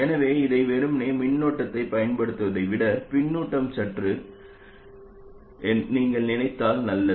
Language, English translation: Tamil, So it is better if you think of this as a feedback circuit rather than simply applying the current